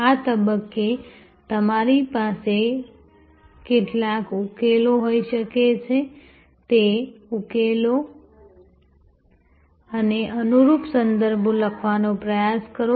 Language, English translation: Gujarati, At this stage, you can have some number of solutions, but try to write the solutions and the corresponding contexts